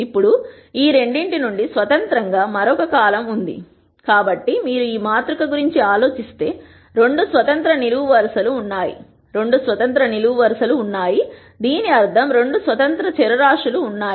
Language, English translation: Telugu, Now, there is one other column which is independent of these two so, if you think about this matrix there are 2 independent columns; which basically means there are 2 independent variables